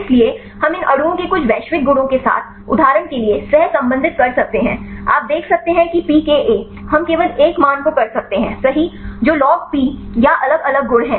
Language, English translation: Hindi, So, we can correlate with some of the global properties of these molecules for example, you can see the pKa we can only one value right are the logP or different a properties